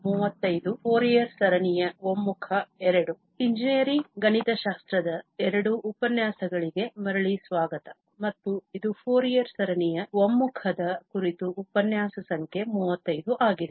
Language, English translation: Kannada, So, welcome back to lectures on Engineering Mathematics II and this is lecture number 35 on Convergence of Fourier series